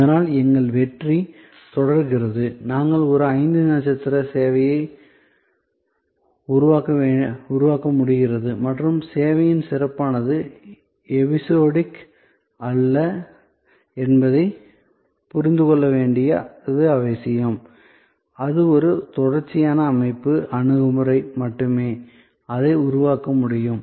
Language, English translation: Tamil, So, that our success is continues, we are able to create a five star service and it is important to understand that service excellence is not episodic, it is a continues systems approach that can only produce it